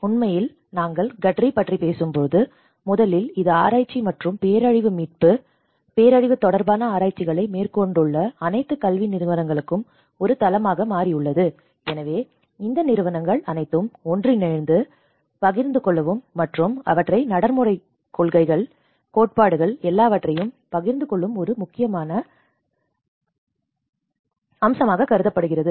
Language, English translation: Tamil, In fact, when we talk about the GADRI, first of all this has become a platform for all the academic institutes who are doing the research and disaster recovery and disaster related research, so it is a platform for all these institutes to come together and share the knowledge and inform the policy practice and also the theory